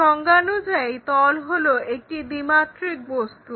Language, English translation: Bengali, Plane by definition is a two dimensional object